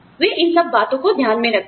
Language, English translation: Hindi, They take, all of these things, into account